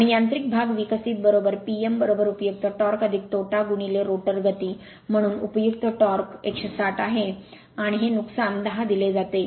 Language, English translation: Marathi, Now mechanical part developed is equal to P m is equal to useful torque plus losses into rotor speed, so useful torque is 160 and this loss is given 10